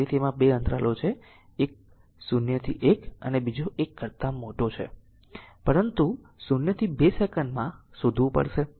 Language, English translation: Gujarati, So, that you have 2 intervals one is 0 to 1 and another is t greater than 1, but you have to find out in between 0 to 2 second